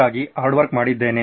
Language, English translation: Kannada, So I have done the hard work